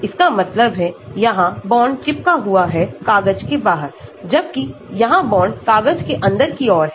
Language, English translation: Hindi, That means, here the bond is sticking out of the paper, whereas here, the bond is going inside the paper